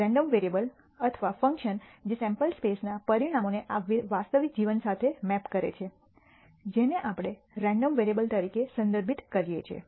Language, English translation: Gujarati, The random variable or function that maps the outcomes of a sample space to this real life that is what we are referring to as a random variable